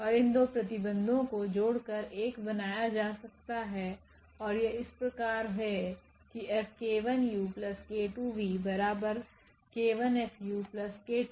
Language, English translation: Hindi, And these 2 conditions can be combined into one and as follows that F times this k 1 plus k 2 v is equal to k 1 F u plus k 2 F v